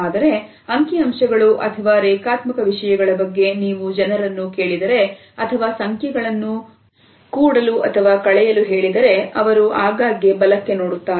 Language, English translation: Kannada, But if you ask people about linear things like data statistics ask them to add up numbers they will quite often look up and to the right